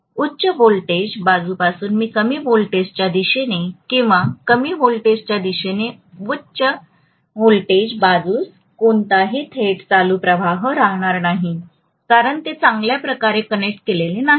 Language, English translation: Marathi, So there will not be any direct current flow from the high voltage side to the low voltage side or low voltage side to the high voltage side, so they are not conductively connected